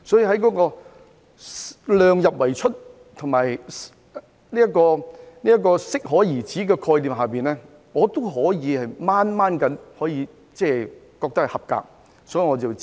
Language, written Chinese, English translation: Cantonese, 所以，在量入為出與適可而止的概念之下，我覺得預算案尚算合格，所以我要支持。, So judging from the concepts of keeping the expenditure within the limits of revenues and being appropriate the Budget has basically met the required standard so I must give my support